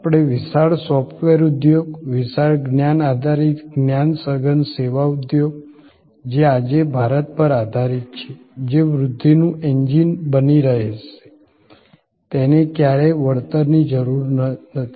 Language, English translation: Gujarati, We are never going to discount the huge software industry, the huge knowledge based knowledge intensive service industry, that we have build up today in India, that will continue to be a growth engine